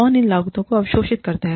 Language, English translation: Hindi, Who absorbs these costs